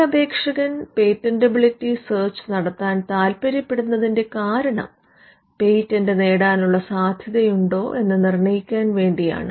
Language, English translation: Malayalam, Now, the reason an applicant may want to do a patentability search is to determine the chances of obtaining a patent